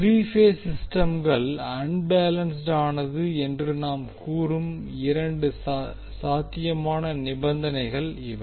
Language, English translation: Tamil, So these are the two possible conditions under which we say that the three phase system is unbalanced